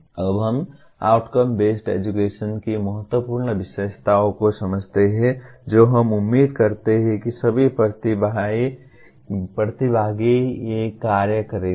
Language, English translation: Hindi, Now, we to understand the important features of outcome based education we expect all the participants to do these assignments